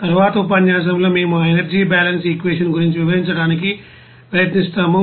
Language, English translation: Telugu, And in the successive lecture we will try to describe about to that energy balance equation and it is solution